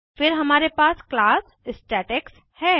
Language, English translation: Hindi, Here we create objects of class statex